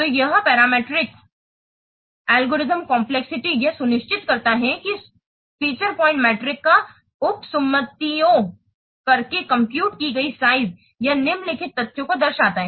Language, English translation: Hindi, So this parameter, this parameter algorithm complexity, it ensures that the computed size using the feature point metric, it reflects the following fact